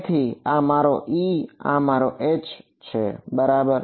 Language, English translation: Gujarati, So, this is my E this is my H ok